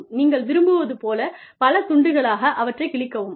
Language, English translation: Tamil, Tear them up, into, as many pieces, as you want